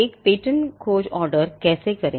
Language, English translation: Hindi, How to order a patentability search